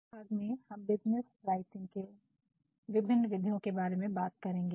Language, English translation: Hindi, So, in this lecture, we shall be talking about the various mechanics of business writing